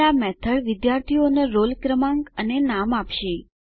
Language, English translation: Gujarati, Now, this method will give the roll number and name of the Student